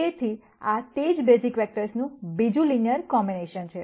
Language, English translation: Gujarati, So, this is another linear combination of the same basis vectors